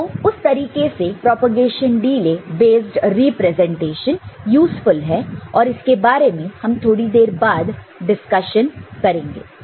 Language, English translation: Hindi, So, that way the propagation delay based representations are useful, and this propagation we shall discuss and use later in some other discussion